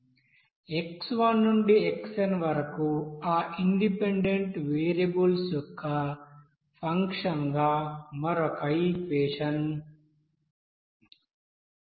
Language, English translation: Telugu, And another equation like as a function of again those you know independent variables of x1 to xn